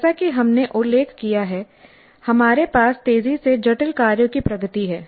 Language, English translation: Hindi, As we mentioned we have a progression of increasingly complex tasks